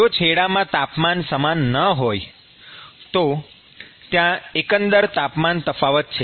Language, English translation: Gujarati, If the temperatures are not same then there is a overall temperature difference